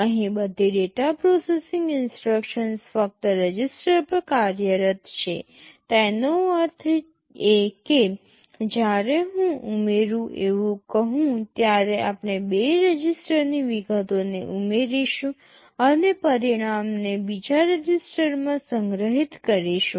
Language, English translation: Gujarati, Here all data processing instructions operate only on registers; that means, when I say add we will be adding the contents of two registers and storing the result back into another register